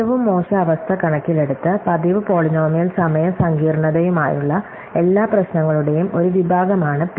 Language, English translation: Malayalam, So, P is a class of all problems with regular polynomial time complexity in terms of worst case